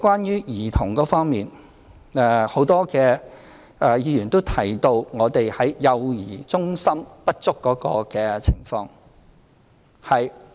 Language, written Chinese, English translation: Cantonese, 在兒童服務方面，很多議員提到幼兒中心不足的情況。, In terms of child service many Members mentioned inadequate provision of child care centres